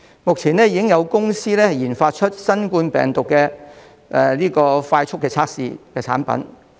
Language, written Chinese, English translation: Cantonese, 目前已經有公司研發出新冠病毒的快速測試產品。, A company has developed a speed testing kit for COVID - 19